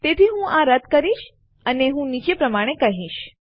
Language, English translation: Gujarati, So Ill scrap this and Ill say the following